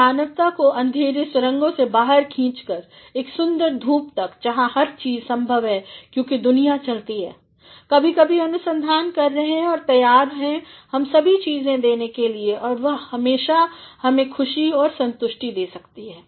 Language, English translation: Hindi, And, have been pulling mankind from the tunnels of darkness to the beautiful sunshine, where everything is possible because the world goes on, doing research every now and then and is ready to provide us all things that can provide and that can lend us joy and satisfaction